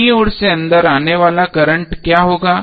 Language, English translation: Hindi, So what would be the current coming inside from left